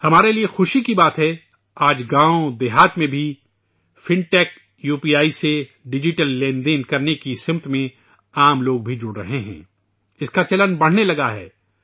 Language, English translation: Urdu, It is matter of delight for us that even in villages, the common person is getting connected in the direction of digital transactions through fintech UPI… its prevalence has begun increasing